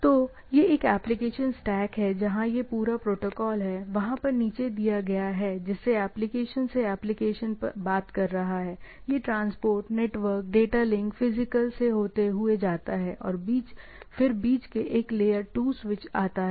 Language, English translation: Hindi, So, it is a this is a application stack where this is the whole protocol stack down there, to application is talking to the application, it is reduced to the transport, network, data link, physical, then it go on, in the in between there is a layer 2 switch